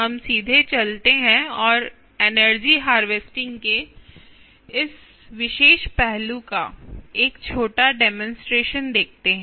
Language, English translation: Hindi, let us go directly and see a small demonstration of this particular aspect of energy harvesting